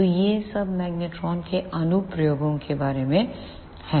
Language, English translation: Hindi, So, this is all about the applications of the magnetrons